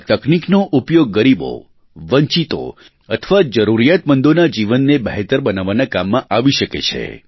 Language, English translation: Gujarati, This technology can be harnessed to better the lives of the underprivileged, the marginalized and the needy